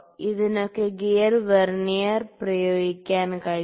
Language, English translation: Malayalam, So, for that purpose we can use this gear Vernier